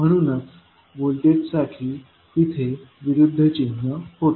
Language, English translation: Marathi, That is why it was having the opposite sign for voltage